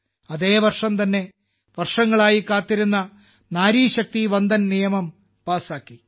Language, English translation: Malayalam, In this very year, 'Nari Shakti Vandan Act', which has been awaited for years was passed